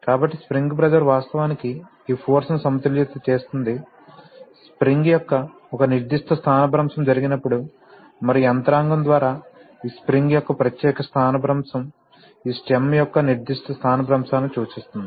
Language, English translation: Telugu, So, the spring pressure will actually balance this force, when a particular displacement of the spring takes place and by the mechanism this particular displacement of this spring implies a particular displacement of this stem